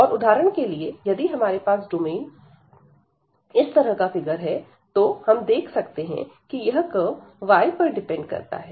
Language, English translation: Hindi, And if we have for example the domain given in this figure, so here there is a curve which depends on this y